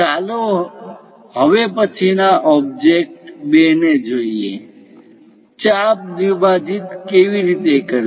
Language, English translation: Gujarati, Let us look at next object 2; how to bisect an arc